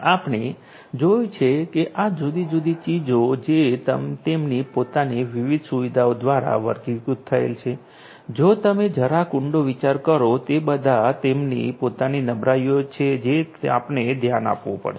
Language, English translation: Gujarati, And we have always already seen that these different ones which are characterized with their own different you know own different features, they pose if you think little deeper, they will pose their own different vulnerabilities which will have to be addressed